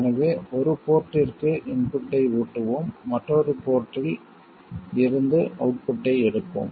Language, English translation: Tamil, So, to one of the ports we will feed the input and from another port we take the output